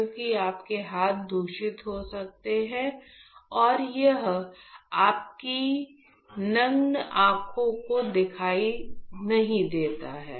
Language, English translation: Hindi, Because your hands could be contaminated, and it is not visible to your naked eyes